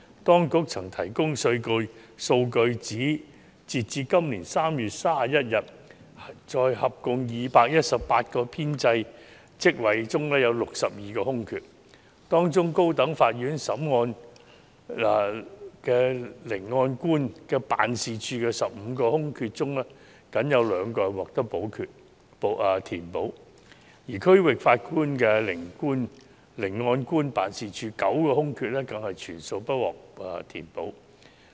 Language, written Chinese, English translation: Cantonese, 當局曾提供數據，指截至今年3月31日，在合共218個編制職位中有62個空缺，當中高等法院聆案官辦事處的15個空缺中僅有2個獲得填補，而區域法院聆案官辦事處9個空缺更全數不獲填補。, The Administration has provided the relevant data as of 31 March this year there were 62 vacancies in an establishment of 218 posts . Among these posts only 2 of the 15 vacancies in the Masters Office of the High Court were filled and the 9 vacancies in the Masters Office in the District Court were all unfilled